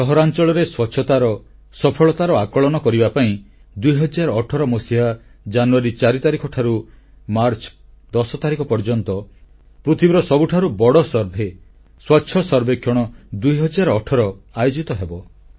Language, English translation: Odia, Cleanliness Survey 2018, the largest in the world, will be conducted from the 4th of January to 10th of March, 2018 to evaluate achievements in cleanliness level of our urban areas